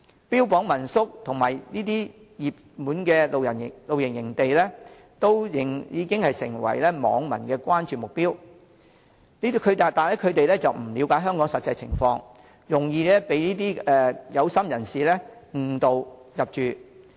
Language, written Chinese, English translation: Cantonese, 標榜民宿及熱門的露營地點已成為網民的關注目標，他們不了解香港實際情況，容易被"有心人士"誤導入住。, Home - stay lodgings and popular campsites are attractions to netizens . Since they are not familiar with the actual conditions of Hong Kong they can easily be misled by people with ulterior motives